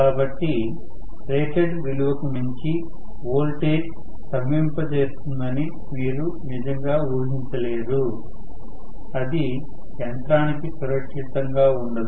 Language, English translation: Telugu, So, you cannot really expect the voltage to be frozen beyond whatever is the rated value still it is not it will not remain safe for the machine